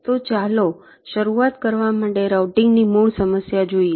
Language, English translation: Gujarati, so let us see basic problem of routing to start with